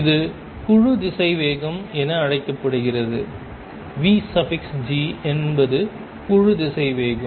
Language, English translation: Tamil, And this is known as the group velocity, v g is the group velocity